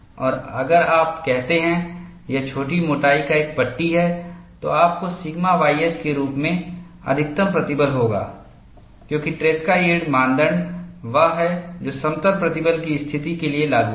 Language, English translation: Hindi, And if you say, it is a panel of small thickness, you will have a maximum stress as sigma y s because () yield criteria is the one, which is applicable for plane stress situation